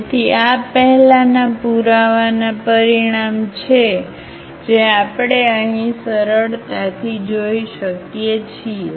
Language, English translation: Gujarati, So, these are the consequence of the earlier proof which we can easily see here